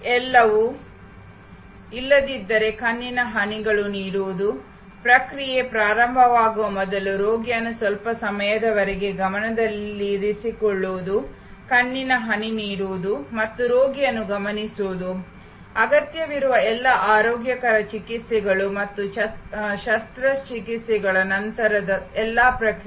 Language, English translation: Kannada, Everything, else giving eye drops, keeping the patient under observation for some time before the process starts, giving the eye drop, again observing the patient, all the other necessary hygienic treatments and post operation all the process